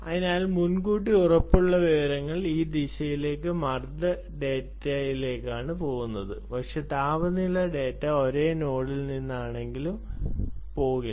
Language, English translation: Malayalam, so pleasure information goes in this direction: pressure data, but temperature data we will perhaps not go all though it is coming from the same node